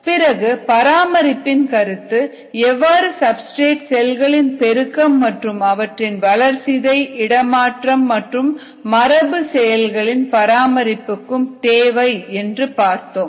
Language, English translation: Tamil, then we looked at the concept of maintenance, the substrate we said needs to go towards cell multiplication as well as towards cell maintenance of metabolism, transport, genetic processes and so on